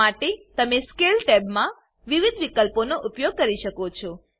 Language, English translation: Gujarati, For this you can use the various options in the Scale tab